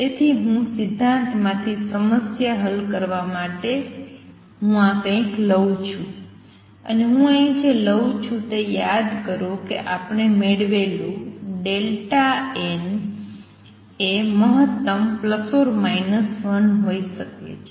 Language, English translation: Gujarati, So, I am going to borrow to solve the problem from the principle, and what I borrow here is that delta n remember we derive can be maximum plus or minus 1